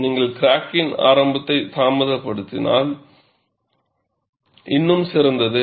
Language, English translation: Tamil, If you delay the crack initiation, it is all the more better